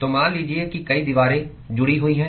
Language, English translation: Hindi, So, supposing there are multiple walls which are associated